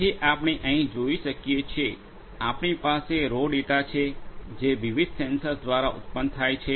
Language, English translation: Gujarati, So, as we can see here; we have the raw data that are generated by the different sensors